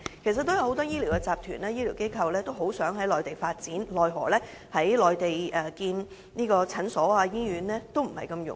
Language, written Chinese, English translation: Cantonese, 其實，有很多醫療集團及醫療機構均希望在內地發展，奈何在內地興建診所或醫院並不容易。, Actually quite a large number of health care groups and medical institutions wish to seek development on the Mainland but it is not that easy for them to build clinics or hospitals there